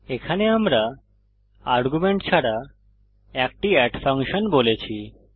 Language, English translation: Bengali, Here we have declared a function add without arguments